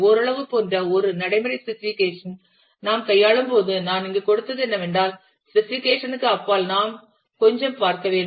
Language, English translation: Tamil, When we deal with a practical specification like somewhat like, the one that I have given here is that we would need to look little beyond the specification